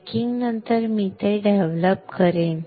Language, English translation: Marathi, After post baking I will develop it